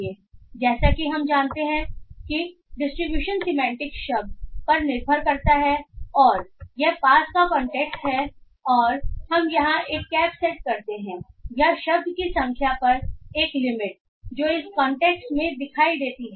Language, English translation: Hindi, So as we know distribution semantics depends on the word and its nearby context and we here set a cap on the or a limit on the number of word that can appear in its context